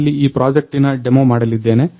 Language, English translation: Kannada, So, here I am going to demo of this project